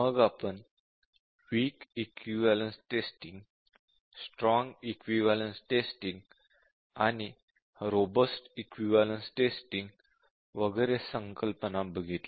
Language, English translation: Marathi, And then we were looking at the concepts of weak equivalence testing, strong equivalence testing, and robust testing and so on